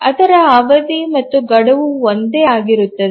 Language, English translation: Kannada, Its period and deadline are the same